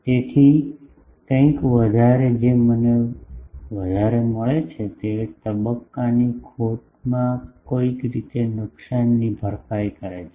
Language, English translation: Gujarati, So, somewhat the gain that I get more, that somehow compensates the loss in the phase error